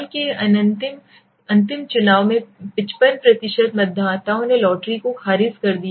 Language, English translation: Hindi, In a recent provisional election 55% of voters rejected lotteries